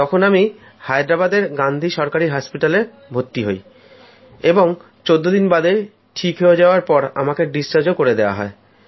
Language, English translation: Bengali, I was admitted to Gandhi Hospital, Government Hospital, Hyderabad, where I recovered after 14 days and was discharged